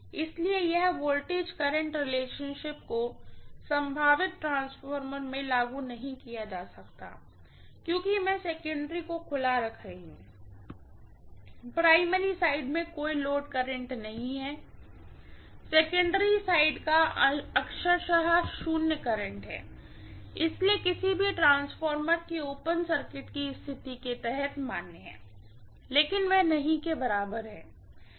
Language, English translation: Hindi, So this voltage current relationship cannot be applied in a potential transformer because I am keeping the secondary side as open, the primary side will have no load current, secondary side has literally zero current, so under open circuit condition of any transformer V1 by V2 equal to N1 by N2 is valid, but that is not equal to I2 by I1, okay